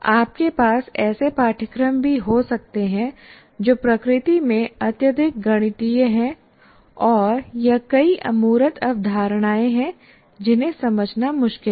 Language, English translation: Hindi, You can also have courses which are highly mathematical in nature or it has several abstract concepts which are difficult to grasp